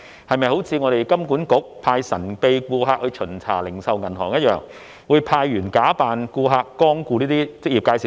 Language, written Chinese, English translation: Cantonese, 是否好像香港金融管理局一樣，派神秘顧客巡查零售銀行，即派員假扮顧客光顧這些職業介紹所？, Do they send officers to pretend to be customers to visit these EAs just like the Hong Kong Monetary Authority deploying mystery customers to inspect retail banks?